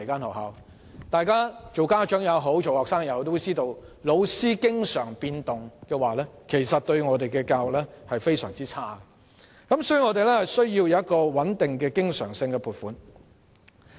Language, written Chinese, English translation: Cantonese, 無論是家長或學生也知道教師的頻密變動其實對教育而言是一件壞事，所以我們需要穩定的經常性撥款。, Both parents and students are aware of the adverse impact of frequent changes of teachers on education and that is why we need stable recurrent funding